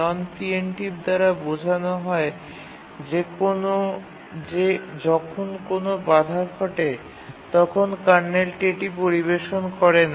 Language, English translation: Bengali, What we mean by non preemptive is that when a interrupt occurs, the kernel doesn't service it